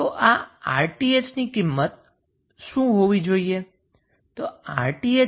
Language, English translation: Gujarati, So, what would be the value of Rth